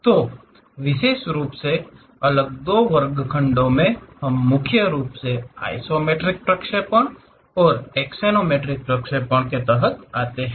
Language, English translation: Hindi, And specifically in the next two two sections, we will look at isometric projections mainly; these come under axonometric projections